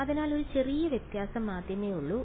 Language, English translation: Malayalam, So, that is the only slight difference